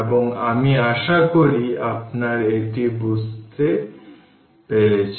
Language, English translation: Bengali, So, this will hope you have understood this right